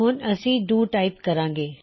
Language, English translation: Punjabi, Now what we type is DO